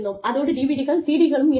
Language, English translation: Tamil, And, we then, we had DVD